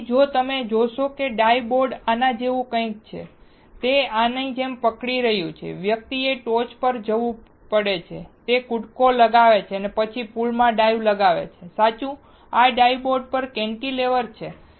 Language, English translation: Gujarati, So, if you see dive board is something like this, it is holding like this, the person has to go on the top, he jumps and then he dives into the pool, correct, this dive board is also a cantilever